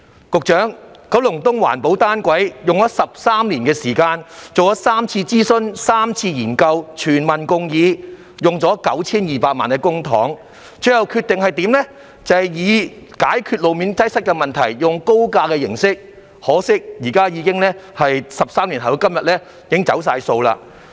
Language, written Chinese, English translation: Cantonese, 局長，我們就九龍東的環保單軌列車計劃花了13年時間，進行過3次諮詢、3次研究，經過全民共議，耗用 9,200 萬元公帑，最後才決定以高架模式解決路面擠塞問題，可惜在13年後的今天，政府已經"走數"。, Secretary it has taken us 13 years to conduct three consultation exercises and three studies on the project of constructing an environmentally friendly monorail system in Kowloon East during which all the people have been engaged in the process of deliberation and 92 million has been paid out of public funds . Yet it was finally decided that an elevated system would be adopted to tackle the road congestion problem . Unfortunately 13 years have passed and the Government has failed to honour its words today